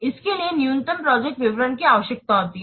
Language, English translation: Hindi, It requires minimal project details